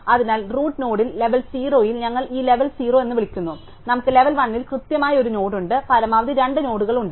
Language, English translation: Malayalam, So, at the root node we have at level 0 we call this level 0, we have exactly one node at level 1 at most we have 2 nodes